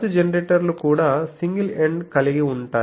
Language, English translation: Telugu, So, also pulse generators are single ended